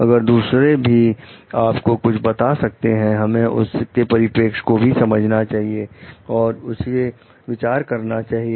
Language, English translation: Hindi, Others may when they are telling something, we need to understand their perspective also, and consider it